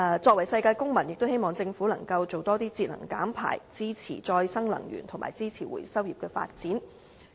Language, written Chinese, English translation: Cantonese, 作為世界公民，也希望政府能夠多推動節能減排，支持再生能源和支持回收業的發展。, I hope the Government should as a world citizen strengthen the promotion of energy saving and emission reduction as well as supporting the development of renewable energy and the recycle industry